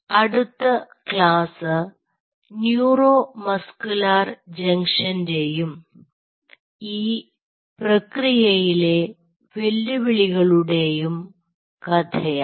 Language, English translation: Malayalam, in the next class we will further this a story of neuromuscular junction and its challenges in the process